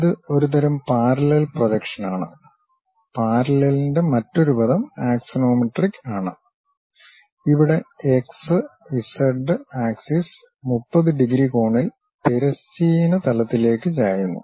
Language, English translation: Malayalam, And it is a type of parallel projection, the other word for parallel is axonometric, where the x and z axis are inclined to the horizontal plane at the angle of 30 degrees